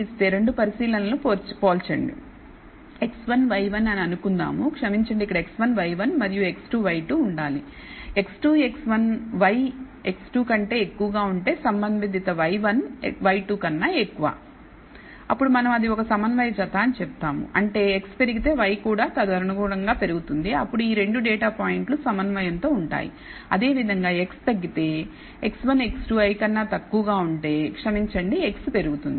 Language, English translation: Telugu, Compare 2 observations let us say x 1, y 1 and sorry here it should be x 1, y 1 and x 2, y 2, if x 2 is x 1 is greater than y x 2 and the corresponding y 1 is greater than y 2 then we say it is a concordant pair; that means, if x increases and y also correspondingly increases then these 2 data points are known said to be concordant